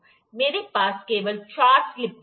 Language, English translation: Hindi, I have only four slip gauges